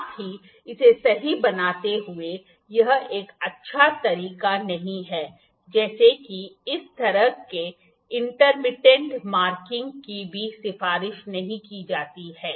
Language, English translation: Hindi, Also making it right, it is not a good way marking like this intermittent marking is also not recommended